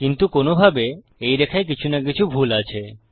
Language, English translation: Bengali, But in a way, there is something wrong with that line